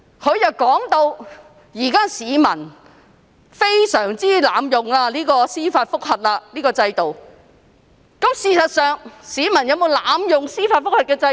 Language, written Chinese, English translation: Cantonese, 她說市民現在經常濫用司法覆核制度，但事實上，市民有否濫用司法覆核制度？, According to her members of the public always abuse the judicial review system nowadays but actually have they really abused it?